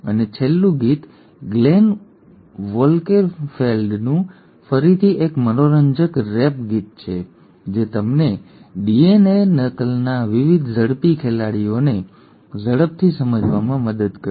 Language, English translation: Gujarati, And the last is a fun rap song again by Glenn Wolkenfeld which will just help you kind of quickly grasp the various quick players of DNA replication